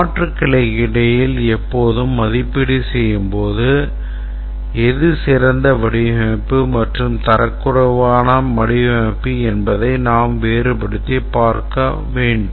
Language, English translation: Tamil, We'll see that it's always evaluating between alternatives and for evaluating between alternatives we need to distinguish between which is a better design and which is a inferior design